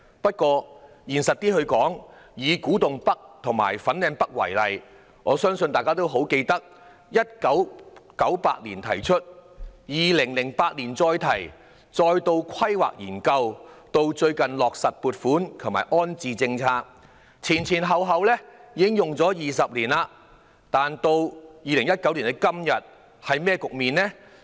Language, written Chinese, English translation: Cantonese, 不過，現實一點地說，以古洞北及粉嶺北為例，我相信大家都記得，有關建議在1998年提出 ，2008 年重提，再進行規劃研究，直至最近落實撥款及安置政策，前後已經20年，但到2019年的今天是甚麼局面呢？, Let me cite the example of Kwu Tung North and Fanling North . I believe Members still remember that the relevant proposal was initially put forward in 1998 brought up again in 2008 and then a planning study was conducted . It was not until recently that funding and the accommodation policy was finalized